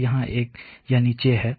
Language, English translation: Hindi, So, is below here